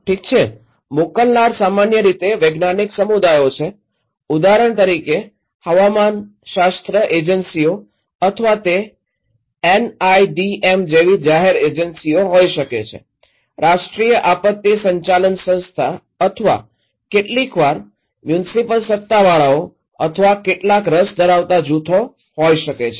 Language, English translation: Gujarati, Okay, senders are generally science communities example meteorological agencies or it could be public agencies like NIDM; National Institute of disaster management or sometimes could be some municipal authorities or some interest groups